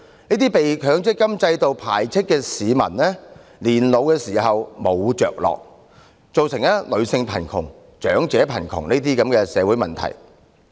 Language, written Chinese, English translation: Cantonese, 這些被強積金制度排斥的市民老無所依，造成女性貧窮和長者貧窮等社會問題。, Rejected by the MPF System these members of the public will remain lacking any sense of support and security in their old age thus generating social problems such as women in poverty and elderly in poverty